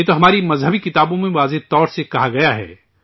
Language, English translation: Urdu, It is clearly stated in our scriptures